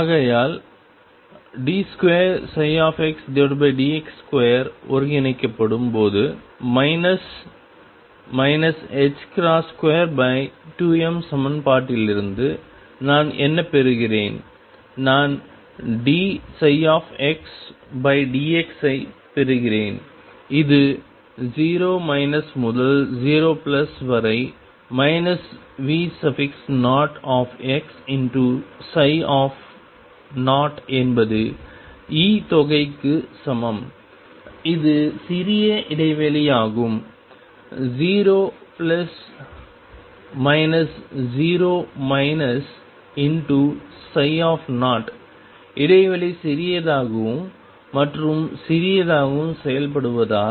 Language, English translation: Tamil, So, therefore, what do I get from the equation minus h cross square over 2 m when d 2 psi over d d x square is integrated I get d psi d psi by d x and this is from 0 minus to 0 plus minus V 0 psi 0 is equal to E sum is small interval which I can write as 0 plus minus 0 minus psi at 0 as the interval is made smaller and smaller